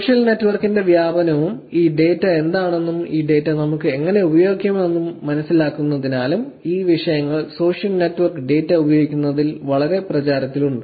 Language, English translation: Malayalam, These are the topics are becoming very, very popular in terms of using social network data because of the proliferation of the social network and understanding what data is available and how we can use this data is becoming a very important topic